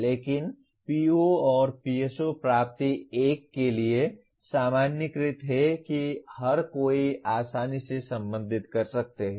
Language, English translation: Hindi, But PO and PSO attainments are normalized to 1 something that everyone can relate readily